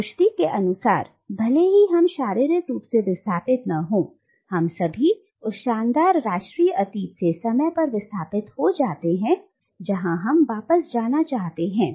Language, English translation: Hindi, But, according to Rushdie, even if we are not physically displaced, all of us are displaced in time from the glorious national past that we might want to go back to